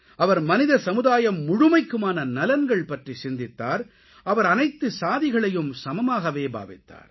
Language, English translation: Tamil, He envisioned the welfare of all humanity and considered all castes to be equal